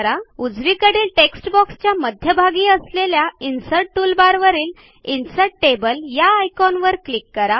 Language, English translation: Marathi, In the right side text box click on the icon Insert Table from the Insert toolbar in the centre